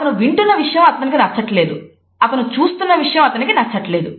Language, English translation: Telugu, He does not like what he hears, he does not like what he sees